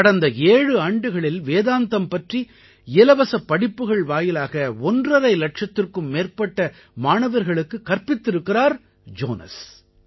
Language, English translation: Tamil, During the last seven years, through his free open courses on Vedanta, Jonas has taught over a lakh & a half students